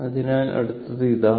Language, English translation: Malayalam, So, this is what